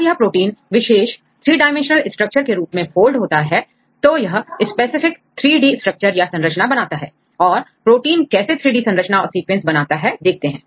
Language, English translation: Hindi, When this protein folds into specific three dimensional structures, it can form a specific 3D structure